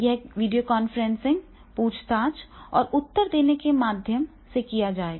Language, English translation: Hindi, It will be done through the videoconferencing, questioning and the replying